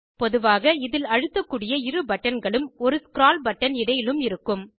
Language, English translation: Tamil, Typically, it has 2 clickable buttons and a scroll button in between